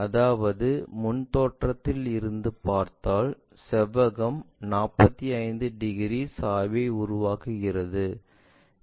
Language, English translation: Tamil, That means, if we are looking from front view the rectangle is making an angle 45 degrees inclination